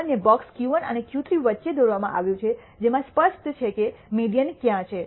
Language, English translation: Gujarati, And the box is drawn between Q 1 and Q 3 clearly showing where the me dian is